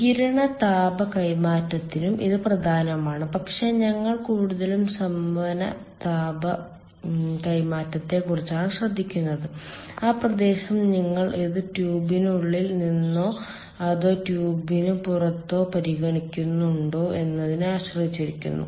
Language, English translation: Malayalam, radiative heat transfer also, it is important, but we are mostly concerned with convective heat transfer and that area depends whether you are considering it from inside of the tube or considering it outside the tube